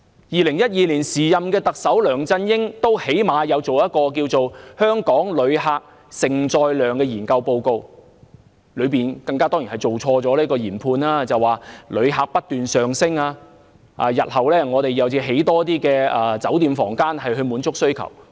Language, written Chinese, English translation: Cantonese, 2012年，時任特首梁振英最低限度也發表了《香港承受及接待旅客能力評估報告》，儘管報告錯誤研判，指旅客不斷上升，日後需要興建更多酒店房間去滿足需求。, In 2012 the then Chief Executive LEUNG Chun - ying at least made the effort to issue the Assessment Report on Hong Kongs Capacity to Receive Tourists even though the report made the wrong assessment that more hotel rooms had to be built to accommodate the sustained growth in the number of visitors